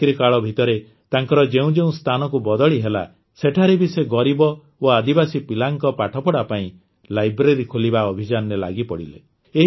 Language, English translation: Odia, Wherever he was transferred during his job, he would get involved in the mission of opening a library for the education of poor and tribal children